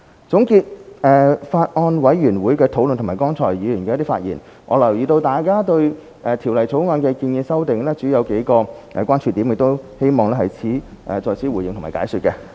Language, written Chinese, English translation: Cantonese, 總結法案委員會的討論和剛才議員的發言，我留意到大家對《條例草案》的建議修訂，主要有數個關注點，我希望在此回應和解說。, Summing up the discussions of the Bills Committee and the opinions just given by Members I notice that there are mainly a few points of concern to the proposed amendments to the Bill . I would like to give a response and explanation here